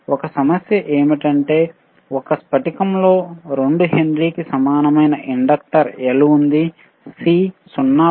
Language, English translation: Telugu, A problem is, a crystal has inductor L equal to 2 Henry, C equals to 0